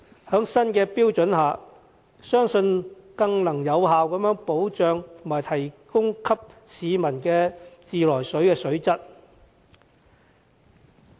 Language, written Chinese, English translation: Cantonese, 在新的標準下，相信能更有效保障提供給市民的自來水水質。, It is believed that the introduction of the new standards can effectively enhance the water quality at consumer taps